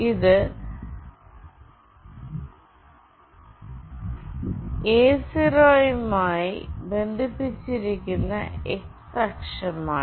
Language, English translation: Malayalam, This is x axis that is connected to A0